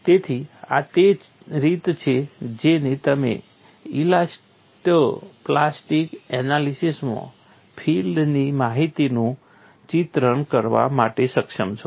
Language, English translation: Gujarati, So, this is the way that you have been able to picturise the field information in elasto plastic analysis